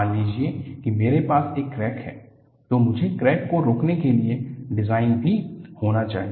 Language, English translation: Hindi, Suppose I have a crack, I must also have the design to arrest the crack